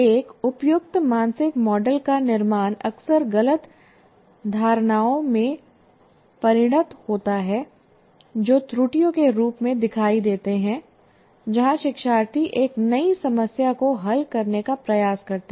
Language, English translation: Hindi, And building an inappropriate mental model often results in misconceptions that show up as errors when learners attempt to solve a new problem